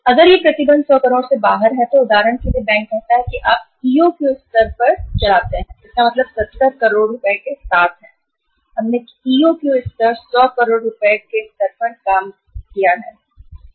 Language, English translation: Hindi, So if it is restriction is imposed out of say 100 crore for example the bank says that you run the show with 70 crores it means at the EOQ level, we had worked the EOQ level at the level of 100 crores